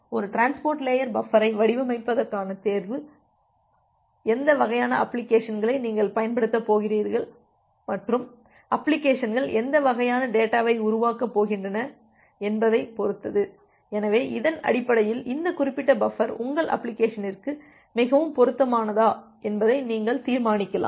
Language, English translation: Tamil, So, that way your choice of designing a transport layer buffer depends on what type of applications, you are going to use and what type of data the applications are going to generate; so based on that you can decide that which particular buffer will be more suitable for your application